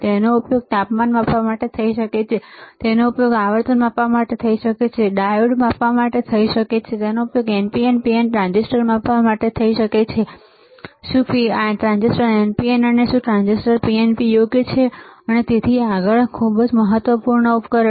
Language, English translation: Gujarati, It can be used to measure temperature it can be used to the frequency, it can be used to measure the diode, it can use to measure NPN and PNP transistors whether transistor is NPN whether transistor is PNP right and so and so forth; So, very important device